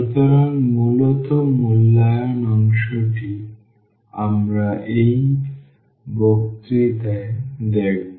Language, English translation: Bengali, So, basically the evaluation part we will look into in this lecture